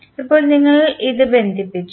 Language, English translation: Malayalam, So now, you have connected this